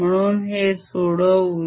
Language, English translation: Marathi, so let's do that